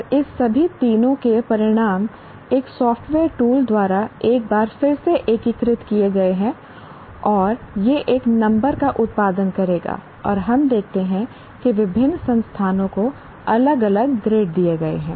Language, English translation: Hindi, And the results of all the three are integrated once again by a software tool and it will produce a number and we will see that different grades are given to different institutions